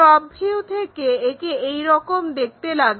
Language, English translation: Bengali, In this way, it looks like in the top view